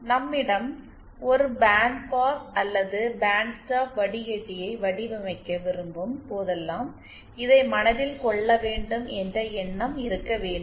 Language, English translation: Tamil, And if we have the converse, that is so whenever we want to design a band pass or band stop filter we have to keep this in mind